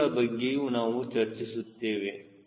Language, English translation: Kannada, we will talk about those things